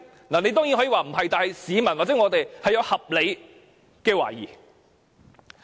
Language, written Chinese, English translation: Cantonese, 你當然可以否認，但市民或我們確有合理的懷疑。, You can of course deny but members of the public or we do have reasonable doubts